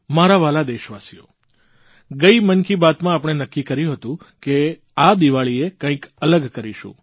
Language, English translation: Gujarati, My dear countrymen, in the previous episode of Mann Ki Baat, we had decided to do something different this Diwali